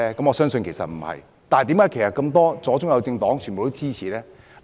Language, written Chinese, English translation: Cantonese, 我相信不是，但是，為何左、中、右政黨也支持呢？, I believe the answer is no . Nevertheless why Members from leftist centrist and rightist political parties all support it?